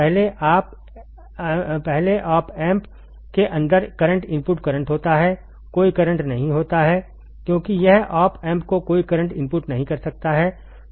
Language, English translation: Hindi, First is the current input current inside the op amp is there is no current, because it cannot draw any current input to the op amp draws no current